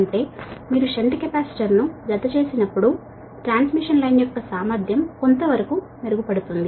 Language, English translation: Telugu, that means when you connect the shunt capacitor, that transmission line efficiency improves to some extent right